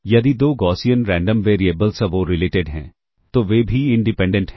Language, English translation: Hindi, If two Gaussian Random variables are uncorrelated, they are also independent